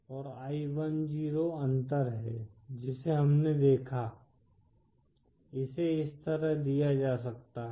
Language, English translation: Hindi, And i10, which we saw, is the difference; this can be given as, like this